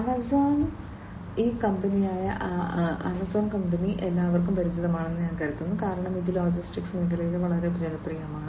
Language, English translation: Malayalam, Amazon, I think everybody is quite familiar with this company Amazon, because it is quite popular in the logistics sector